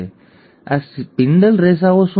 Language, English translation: Gujarati, How are the spindle fibres made